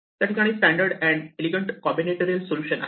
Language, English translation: Marathi, There is a very standard and elegant combinatorial solution